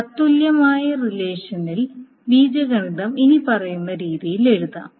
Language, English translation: Malayalam, Now if you want to write it the equivalent relational algebra expression, it can be written in the following manner